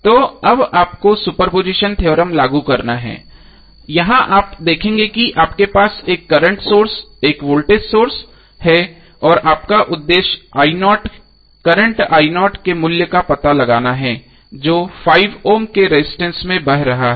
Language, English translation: Hindi, So now you have to apply the super position theorem, here you will see that you have 1 current source 1 voltage source and your objective is to find out the value of current i0 which is flowing through 5 Ohm resistance